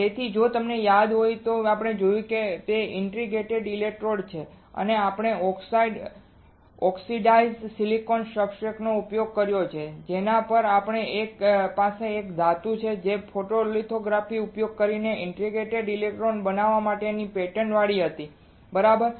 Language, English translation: Gujarati, So, if you remember the what we have seen is the interdigitated electrodes right and in that we have used oxide oxidized silicon substrate, on which we have a metal which were which was patterned using photolithography to form interdigitated electrodes right